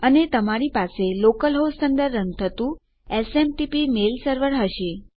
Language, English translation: Gujarati, And you will have a SMTP mail server running under local host